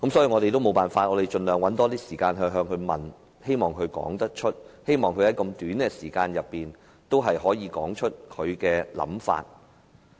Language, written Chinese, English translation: Cantonese, 我們也沒辦法，只能盡量向香港大律師公會主席發問，希望他可以在這樣短的時間內說出他的想法。, We could not but try to ask the Chairman of HKBA as many questions as possible in the hope that he could state his views within such a short time